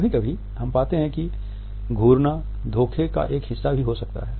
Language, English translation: Hindi, Sometimes we would find that a staring can also be a part of deception